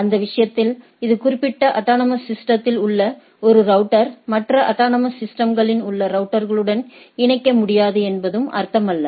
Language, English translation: Tamil, For that matter it also does not mean, that a router in particular autonomous system cannot connect to a routers in the other autonomous system